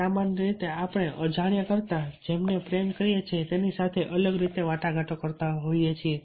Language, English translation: Gujarati, so we usually negotiate differently with those we love than we do with strangers